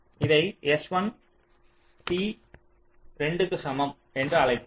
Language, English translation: Tamil, so lets call it s one, t equal to two